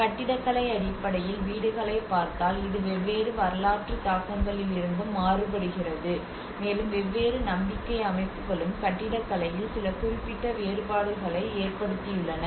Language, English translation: Tamil, In terms of the houses in terms of the architecture it also varies from different historical influences, and different belief systems have also made some significant differences in the architecture